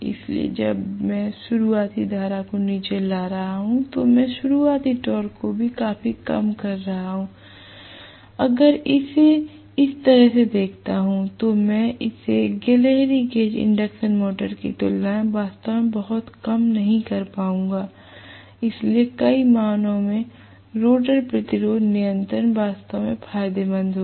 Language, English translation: Hindi, So, when I am bringing down the starting current am I reducing the starting torque also drastically, if I look at it that way I would not be really reducing it drastically as compared to squirrel cage induction motor right, so rotor resistance control actually will be advantageous in several ways